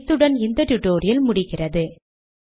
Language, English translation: Tamil, So with this, I come to the end of this tutorial